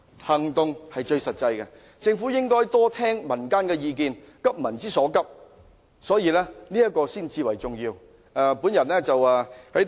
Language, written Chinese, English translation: Cantonese, 行動是最實際的，政府應該多聽取民間的意見，急民之所急，這才是最重要的。, Action speaks louder than words . The Government should listen more to public opinions and address the peoples pressing needs . This is the most important point